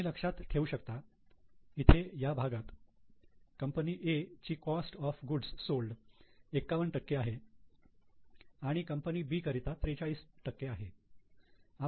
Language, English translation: Marathi, So, you can understand see here this part is cost of goods sold for company A is 51% for company B is 43%